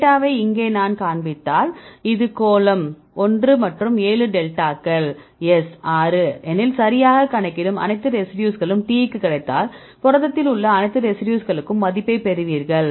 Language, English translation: Tamil, So, here I show the data for example, if this is sphere one and seven delta s is six likewise if all the residues you compute right get for the t one then you repeat it for all the residues in the protein right, then we will get the value